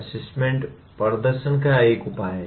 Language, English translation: Hindi, Assessment is a measure of performance